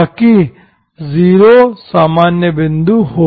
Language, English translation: Hindi, So that 0 is the ordinary point